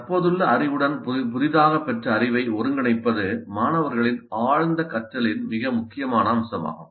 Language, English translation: Tamil, So the integration of the newly acquired knowledge into the existing knowledge is an extremely important aspect of deep learning by the students